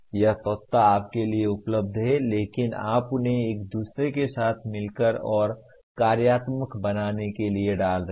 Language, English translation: Hindi, That is elements are available to you but you are putting them together to form a another coherent and functional whole